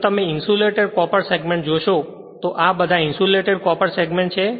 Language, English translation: Gujarati, So, another thing is here if you look into the insulated copper segment this is all insulated your copper segment